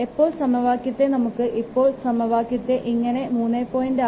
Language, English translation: Malayalam, So it will be now the equation will be simplified as 3